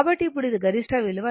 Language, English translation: Telugu, So, now this is the peak value